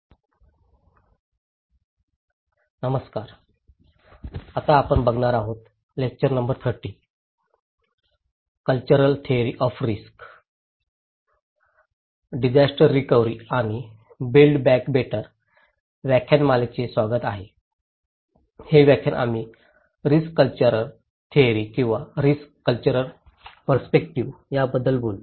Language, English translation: Marathi, Hello everyone, welcome to the lecture series on disaster recovery and build back better; this lecture we will talk about cultural theory of risk or cultural perspective of risk